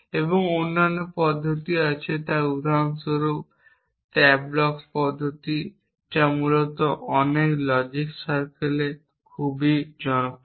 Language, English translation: Bengali, And there are other methods so for example, that is the tableaux method which is very popular in many logic circles essentially